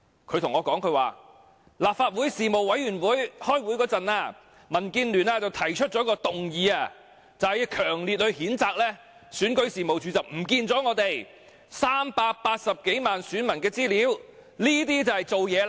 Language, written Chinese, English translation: Cantonese, 她說民建聯在立法會政制事務委員會開會時提出一項議案，要強烈譴責選舉事務處遺失380多萬名選民資料，這就是做事了。, She said DAB had moved a motion at a meeting of the Panel on Constitutional Affairs strongly reprimanding the Registration and Electoral Office for the loss of the information of more than 3.8 million voters . That to her is real work